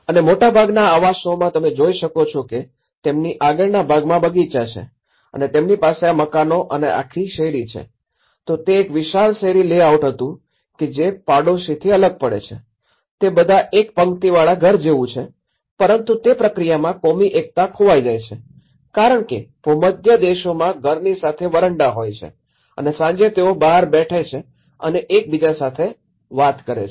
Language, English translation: Gujarati, And much of the housing, if you can see that they have these front gardens and they have these detached housing and the whole street, it was a vast street layouts that separates from the neighborhood you know, they are all like a row house aspect but that communal interaction gets missing in this process because that the Mediterranean countries they have this veranda concepts and the evenings sit outside, they chit chat with each other